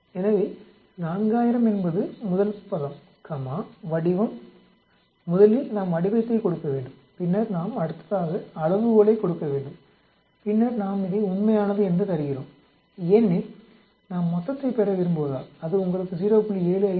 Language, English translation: Tamil, So 4000 is the first term comma the shape we have to give the shape first and then we have to give the scale next and then we are giving it as true because we want to get the total that gives you 0